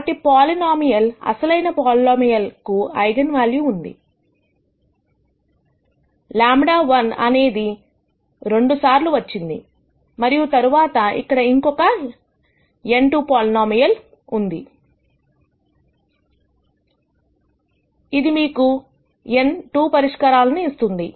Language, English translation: Telugu, So, the polynomial, original polynomial has eigenvalue; lambda one repeated twice and then there is another n minus 2 order polynomial, which will give you n minus 2 other solutions